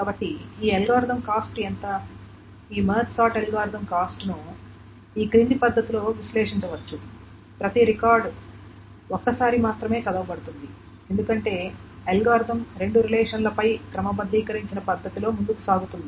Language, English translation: Telugu, The cost of this March side algorithm can be analyzed in the following manner is that each record is read only once because the algorithm proceeds in a sorted manner over the two relations